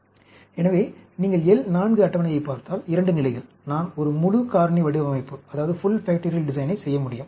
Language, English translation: Tamil, So, if you look at the L 4 table, 2 levels, I can do a full factorial design